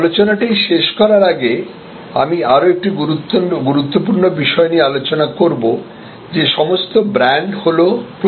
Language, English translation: Bengali, To conclude the discussion I will discuss another very important thing, that all brands are promises